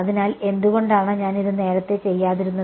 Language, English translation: Malayalam, So, why did not I do this earlier